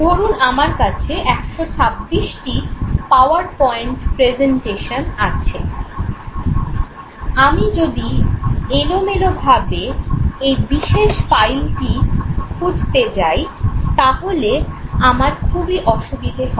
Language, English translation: Bengali, If I have say 126 PowerPoint presentations with me, making random search will make my life help